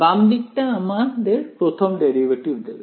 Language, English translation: Bengali, The left hand side will give me first derivative